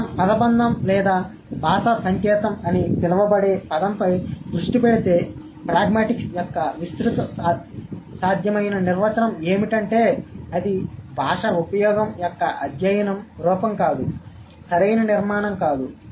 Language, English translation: Telugu, So, if we focus on the phrase or the term called linguistic sign, so the broadest possible definition of pragmatics would be it is the study of language use, not the form, not the structure, right